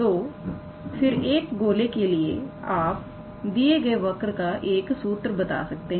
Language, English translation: Hindi, So, again for a sphere you can give the formula in this fashion